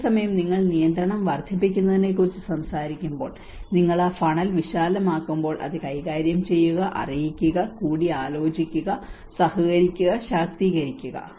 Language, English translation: Malayalam, And whereas, when you talk about when you increase at control, when you widen that funnel, and that is where it goes from manipulate, inform, consult, collaborate and empower